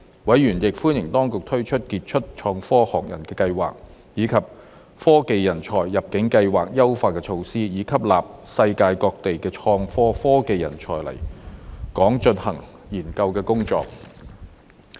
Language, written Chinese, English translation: Cantonese, 委員亦歡迎當局推出傑出創科學人計劃，以及科技人才入境計劃優化措施，以吸納世界各地的創科科技人才來港進行研究工作。, Members also welcomed the implementation of the Global STEM Professional Scheme and the enhancement measures of the Technology Talent Admission Scheme to admit technology talent from different parts of the world to undertake research and development work in Hong Kong